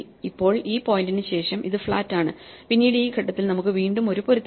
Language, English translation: Malayalam, Now, after this point we are flat and then a at this point again we have a match